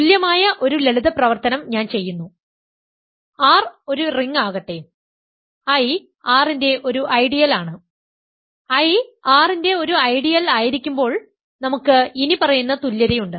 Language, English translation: Malayalam, An equally simple exercise is that I so, let R be a ring and I is an ideal of R; at I be an ideal of R then we have the following equivalence